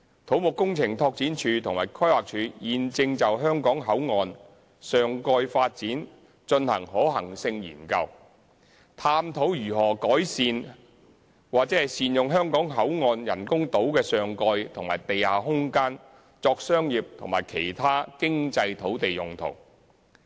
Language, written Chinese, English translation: Cantonese, 土木工程拓展署及規劃署現正就香港口岸上蓋發展進行可行性研究，探討如何善用香港口岸人工島的上蓋和地下空間作商業及其他經濟土地用途。, The Civil Engineering and Development Department and the Planning Department are conducting a feasibility study for the topside development at Hong Kong Boundary Crossing Facilities Island of HZMB to explore how to optimize the land at the Hong Kong Port for topside and underground development for commercial and other economic land uses